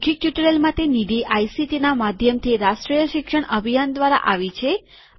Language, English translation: Gujarati, The funding for this spoken tutorial has come from the National Mission of Education through ICT